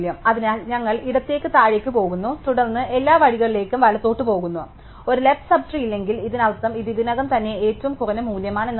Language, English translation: Malayalam, So, we go down left and then we go all the way right and if we do not have a left sub tree, then it means that this is already the minimum value in it is sub trees